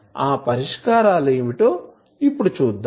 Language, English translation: Telugu, What are those solutions